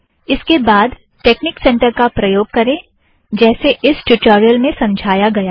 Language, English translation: Hindi, Then, proceed with the use of Texnic center as explained in this tutorial